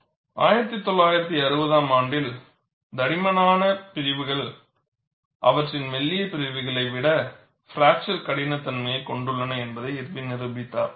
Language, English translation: Tamil, In 1960, Irwin demonstrated that, thick sections have markedly lower fracture toughness than their thin counterparts